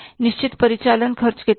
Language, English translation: Hindi, Those are called as the operating expenses